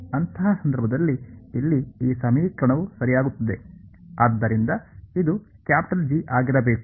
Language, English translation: Kannada, In that case, this equation over here it simply becomes right, so this should be capital G ok